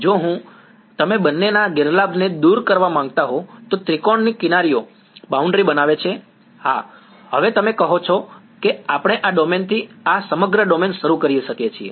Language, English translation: Gujarati, If I if you wanted to remove the disadvantage of both of them, the edges of the triangle do form the boundary, yes now so, you are saying that we start with this domain this entire domain